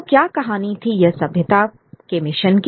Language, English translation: Hindi, So, what was this metanarrative of civilizing mission